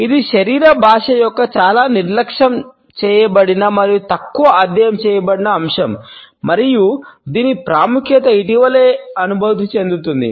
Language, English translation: Telugu, It is a much neglected and less studied aspect of body language and its significance is being felt only recently